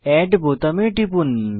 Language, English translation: Bengali, Click on Add button